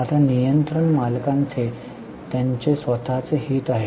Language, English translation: Marathi, Now, controlling owners have their own interest